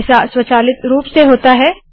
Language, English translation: Hindi, This placement is done automatically